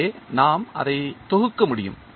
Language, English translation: Tamil, So, we can compile it